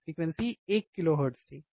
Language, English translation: Hindi, Frequency was one kilohertz, correct